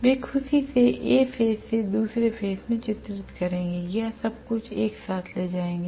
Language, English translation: Hindi, They will happily defect from one phase to another or carry everything together